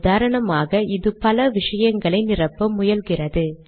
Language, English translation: Tamil, For example, it tries to fill lots of things here